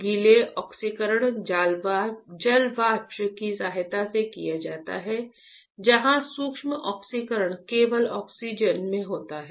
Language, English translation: Hindi, The wet oxidation is done with the help of water vapor where dry oxidation is done only in oxygen, ok